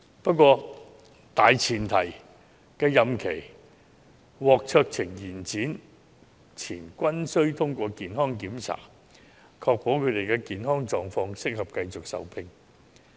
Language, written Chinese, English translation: Cantonese, 不過，大前提是任期獲酌情延展前須通過健康檢查，確保他們的健康狀況適合繼續受聘。, However the premise is that before a discretionary extension of term of office is granted the JJOs concerned will be required to pass a medical examination to ascertain that they are medically fit for continued employment